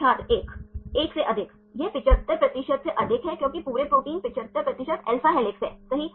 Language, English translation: Hindi, More than 1, that’s more than 75 percent because the whole protein 75 percent of alpha helix right